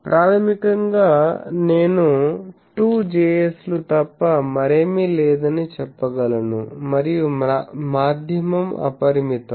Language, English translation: Telugu, So, basically I can say that I have nothing but a 2 Js, and the medium is unbounded